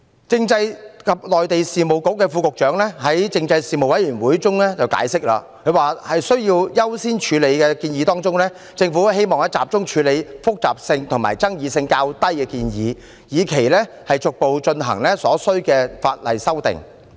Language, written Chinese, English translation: Cantonese, 政制及內地事務局副局長在政制事務委員會解釋，在優先處理的建議中，政府希望集中處理複雜性和爭議性較低的建議，以期逐步進行所需的法例修訂。, The Under Secretary for Constitutional and Mainland Affairs explained at the Panel on Constitutional Affairs that the Government would like to focus on implementing the less complex and controversial prioritized recommendations with a view to gradually introducing other necessary amendments